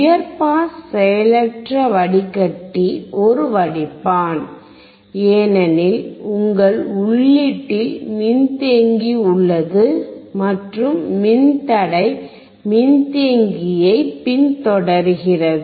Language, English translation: Tamil, High pass passive filter is a filter, because your capacitor is at the input and resistor is following the capacitor